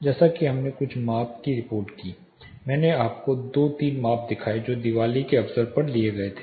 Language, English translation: Hindi, As we know reported some of the measurement I showed you two three measurements that were taken during the occasion of Diwali